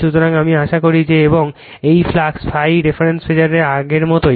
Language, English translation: Bengali, So, I hope that and this is the same as before the flux phi is your reference phasor, right